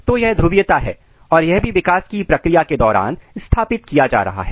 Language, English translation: Hindi, So, this is the polarity and this is also being established during the process of development